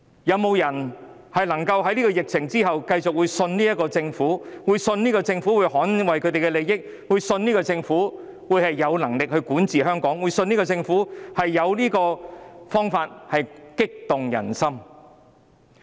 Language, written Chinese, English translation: Cantonese, 有沒有人能夠在疫情完結後繼續相信這個政府，即相信政府會捍衞他們的利益，相信政府有能力管治香港，相信政府有方法激勵人心？, After the epidemic is over can anyone continue to trust this Government believing that it will defend their interests is capable of governing Hong Kong and can lift up peoples hearts?